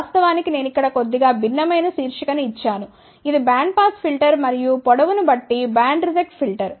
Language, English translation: Telugu, In fact, I have given their title slightly different here this is a bandpass filter and band reject filter depending on length